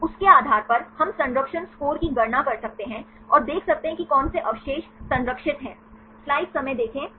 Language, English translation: Hindi, Based on that, we can calculate the conservation score and see which residues are conserved